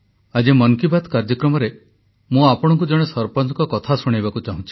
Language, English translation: Odia, Today, I want to narrate the story of a sarpanch in the 'Mann Ki Baat' programme